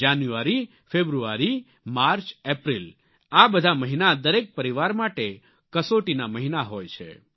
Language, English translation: Gujarati, January, February, March, April all these are for every family, months of most severe test